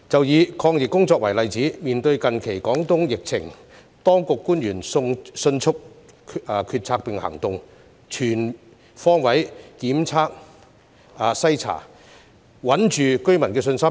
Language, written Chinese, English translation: Cantonese, 以抗疫工作為例子，面對近期廣東疫情，當地官員迅速決策並行動，全方位檢測篩查，穩住居民的信心。, Taking the anti - epidemic work as an example in the face of the recent epidemic in Guangdong the local authorities have made decisions and taken actions swiftly and carried out virus testing on all fronts to maintain residents confidence